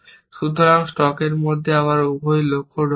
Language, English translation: Bengali, So, I will insert both the goals again, into the stack